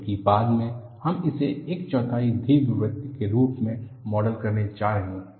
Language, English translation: Hindi, Because, later, we are going to model it as a quarter ellipse